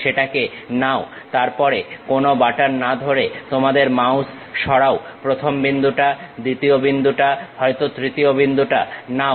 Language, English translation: Bengali, Pick that, then move your mouse without holding any button, pick first point, second point may be third point